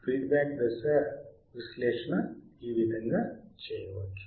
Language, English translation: Telugu, This is how the feedback stage analysis can be done